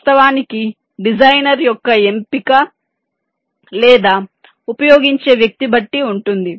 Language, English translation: Telugu, of course, the choices up to the designer or the person uses it